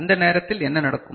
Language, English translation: Tamil, And at that time what will happen